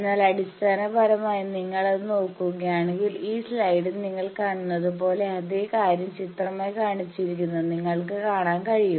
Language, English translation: Malayalam, But basically if you look at that you can see these slide that same thing what we have pictorially shown